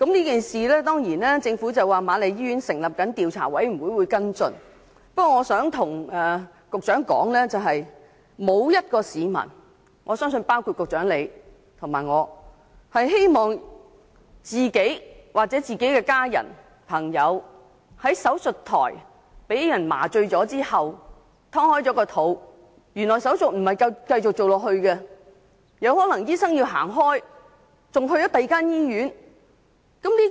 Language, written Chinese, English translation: Cantonese, 就是次事件，政府表示瑪麗醫院成立了調查委員會跟進。不過，我想告訴局長，沒有一名市民，包括局長和我在內，希望自己、家人或朋友在手術台上被麻醉剖腹後，面對手術不能繼續進行，醫生有可能會離開，甚至去了另一所醫院的情況。, Although the Government said that the Queen Mary Hospital has established an investigation committee to follow up the incident I must tell the Secretary that nobody the Secretary and myself included wants to be left on the operation table waiting with his abdomen cut open while the surgeon leaves and goes to another hospital . No one wants that to happen to ourselves our families or friends